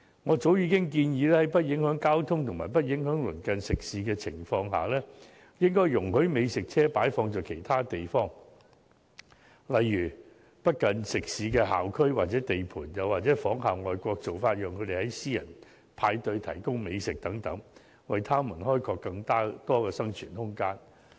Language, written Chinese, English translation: Cantonese, 我早已建議，在不影響交通及鄰近食肆的情況下，應容許美食車擺放在其他地方，例如不近食肆的校區或地盤，又或仿效外國做法，讓他們在私人派對提供美食等，為他們開拓更多生存空間。, I have proposed that without affecting the traffic and the business of nearby restaurants food trucks should be allowed to operate in other locations such as school areas or construction sites far away from restaurants . Besides food trucks should be allowed to provide gourmet food at private parties as in overseas countries so as to enhance the viability of the business